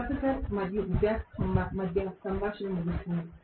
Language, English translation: Telugu, Conversation between professor and student ends